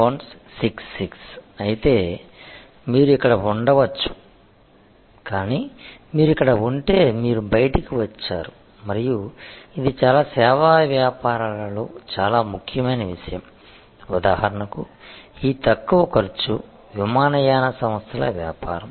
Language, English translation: Telugu, 66 then maybe you can be here, but if you are here then you are out and that is a very important point in many service businesses like for example, this low cost, no frills airlines business